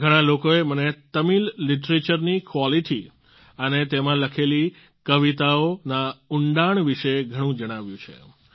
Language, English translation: Gujarati, Many people have told me a lot about the quality of Tamil literature and the depth of the poems written in it